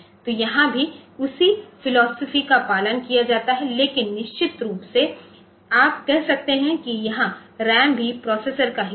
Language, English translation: Hindi, So, here also the same philosophy is followed, but of course, you can say that, this is a RAM is also part of the processor